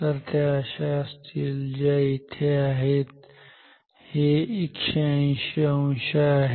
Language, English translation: Marathi, So, it is like this which is here this is 180 degree